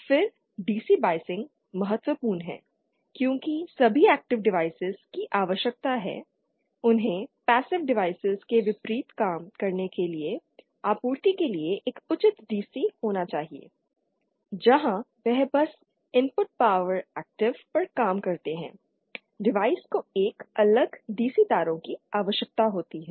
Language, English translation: Hindi, Then DC biasing that is another important because all active devices need to have a proper DC for the supply for them to work unlike passive devices where they simply work on the input power active, device needs a separate DC wires